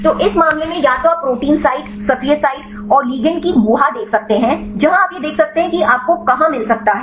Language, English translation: Hindi, So, in this case either you can see the cavity of the protein site, active site and the ligand you can see where this can fit you can find the complementarity